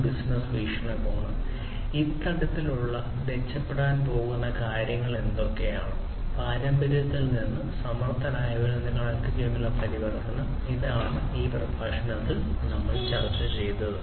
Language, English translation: Malayalam, From a business perspective; what are the, what are the things that are going to be improved through this kind of adoption, transformation from the traditional to the smarter ones through a connected one, and so on, and this is what we have discussed in this particular lecture